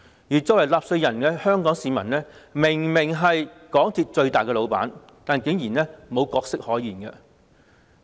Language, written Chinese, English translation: Cantonese, 而香港市民作為納稅人，明明是港鐵公司的最大老闆，但竟然毫無角色可言。, But Hong Kong people though being taxpayers and obviously the biggest boss of MTRCL outrageously do not have a role to play